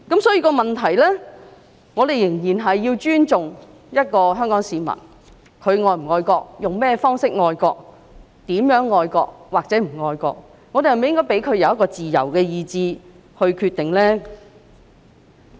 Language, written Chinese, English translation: Cantonese, 所以，我們仍然要尊重香港市民，他們是否愛國，用甚麼方式愛國，如何愛國或不愛國，我們是否應該給予市民自由意志來決定呢？, As to whether they love the country in what way they love the country and how patriotic or unpatriotic they are should we not allow the people to have free will to make their own decisions?